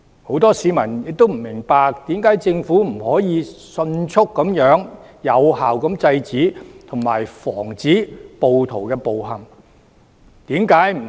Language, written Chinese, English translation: Cantonese, 很多市民亦不明白，為何政府不能迅速有效地制止及防止暴徒的暴行？, They also do not understand why the Government has failed to quickly and efficiently stop and prevent the violent acts of the rioters